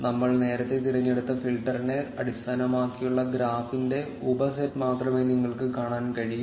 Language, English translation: Malayalam, And you will be able to see only the subset of the graph based on the filter which we choose earlier